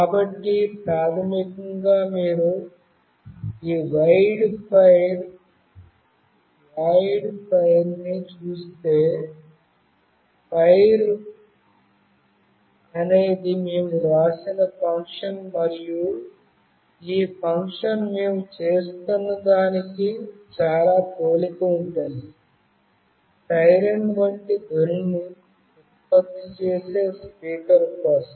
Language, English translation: Telugu, So, basically if you see this void fire, fire is a function that we have written and this function is very similar to what we were doing for the speaker generating a siren like sound